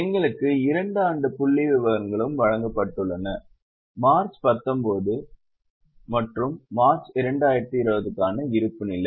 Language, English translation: Tamil, We have also been given two years figures of balance sheet for March 19 and March 2020